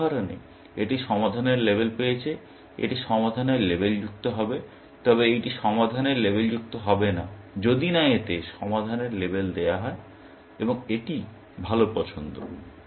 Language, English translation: Bengali, In this example, this has got labeled solved; this will get labeled solved, but this will not get labeled solved, unless that gets labeled solved, and this is the better choice